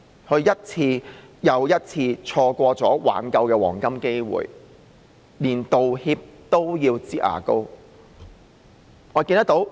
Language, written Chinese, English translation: Cantonese, 她一次又一次錯過挽救的黃金機會，連道歉都要"擠牙膏"。, She had missed the golden opportunity for remedy over and again and even her apology was made like squeezing toothpaste out of a tube